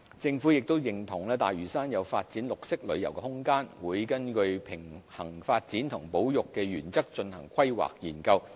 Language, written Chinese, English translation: Cantonese, 政府亦認同大嶼山有發展綠色旅遊的空間，並會根據平衡發展和保育的原則進行規劃研究。, The Government also agrees that there is room for developing green tourism in Lantau and will conduct studies of planning under the principle of balancing the needs of development and conservation